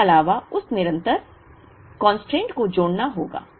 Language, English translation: Hindi, Plus of course, that constant has to be added